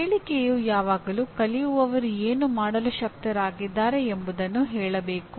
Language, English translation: Kannada, The outcome statement should always say what the learner should be able to do